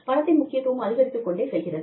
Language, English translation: Tamil, Money is becoming increasingly important